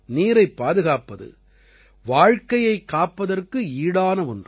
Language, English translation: Tamil, Conserving water is no less than saving life